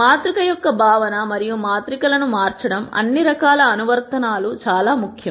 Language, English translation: Telugu, The notion of matrix and manipulating matrices is very important for all kinds of applications